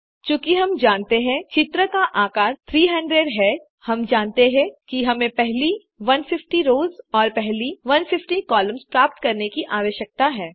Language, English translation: Hindi, Since, we know the shape of the image is 300, we know that we need to get the first 150 rows and the first 150 columns